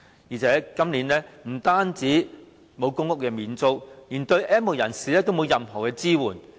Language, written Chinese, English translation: Cantonese, 再者，政府今年不但沒有提供公屋免租，連對 "N 無人士"也沒有提供任何支援。, What is more this year besides stopping the public housing rent waiver the Government also offers no assistance to the N have - nots